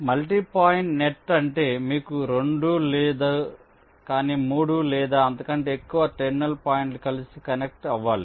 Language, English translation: Telugu, multi point net means you have not two but three or more terminal points which have to be connected together